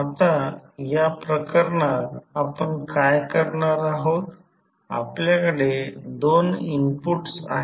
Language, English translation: Marathi, Now, what we will do in this case we have two inputs